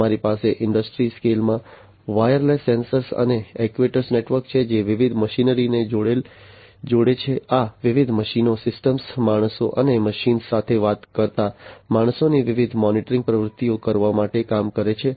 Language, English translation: Gujarati, So, we have a wireless sensor and actuator network in the industry scale connecting different machinery, working in order to perform the different monitoring activities of these different machines systems, humans, humans talking to machines, and so on